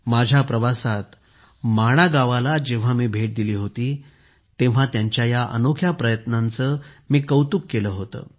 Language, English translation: Marathi, During my visit to Mana village, I had appreciated his unique effort